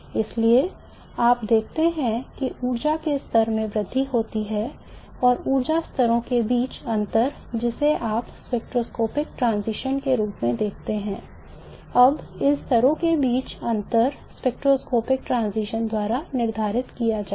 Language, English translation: Hindi, Therefore you see that the energy levels increase and the differences between the energy levels which is what you see as a spectroscopic transition now will be determined by the differences that you have between these levels